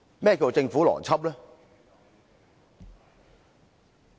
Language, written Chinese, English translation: Cantonese, 何謂政府邏輯？, What is the Governments logic?